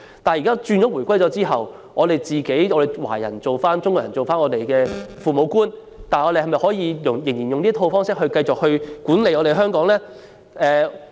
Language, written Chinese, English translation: Cantonese, 但是，在回歸後，當香港人自己成為這個地方的父母官時，是否仍應繼續以這套方式管理香港呢？, Nevertheless after the reunification when Hong Kong is now administered by Hong Kong people should we continue to adopt the same pattern to administer Hong Kong?